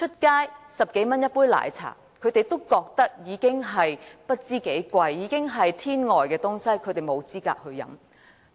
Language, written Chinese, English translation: Cantonese, 街外10多元一杯奶茶，他們覺得十分昂貴，是上好的東西，他們沒有資格享用。, They find a 10 - plus cup of milk tea too expensive and too exquisite a beverage for them to enjoy